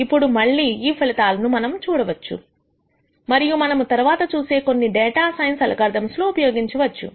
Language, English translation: Telugu, Now again these results we will see and use as we look at some of the data science algorithms later